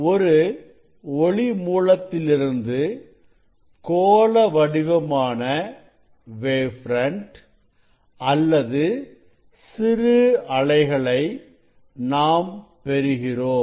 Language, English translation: Tamil, from the source this spherical waves wavelets or wave fronts you are getting